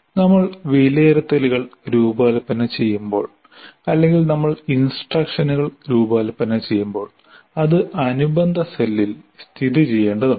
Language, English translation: Malayalam, And when we are designing assessments or when we are designing instruction, that also we need to locate in the corresponding cell